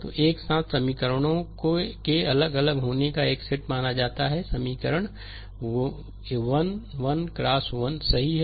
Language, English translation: Hindi, So, considered a set of simultaneous equations having distinct from, the equation is a 1 1 x 1, right